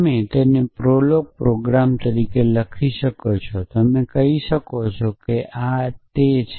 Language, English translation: Gujarati, So, you could write it as a prolog programme you could say that this is how